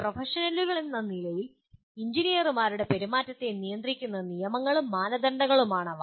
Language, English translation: Malayalam, They are rules and standards governing the conduct of engineers in their role as professionals